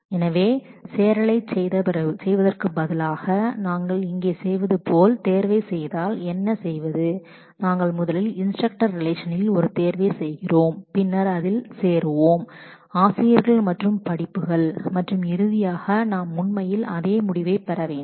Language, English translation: Tamil, So, what if instead of doing the join and then doing the selection as we are doing here if we first do a selection on the instructor relation itself and then join it with the join of teachers and courses and finally, do the projection we should actually get the same result